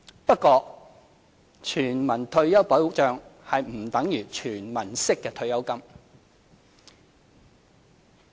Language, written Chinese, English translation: Cantonese, 不過，全民退休保障不等於"全民式"的退休金。, That said universal retirement protection is not equal to retirement pension provided universally